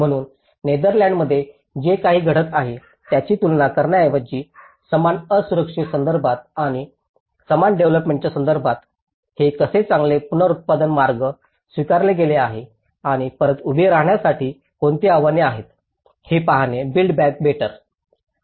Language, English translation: Marathi, So, instead of comparing with something what is happening in Netherlands, it is good to see in a similar geographies, in the similar vulnerable context and a similar development context how these build back better approaches have been adopted and what are the challenges to build back better